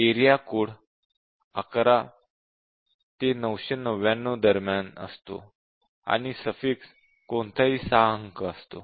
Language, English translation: Marathi, The area code is between 11 to 999, and the suffix is any 6 digits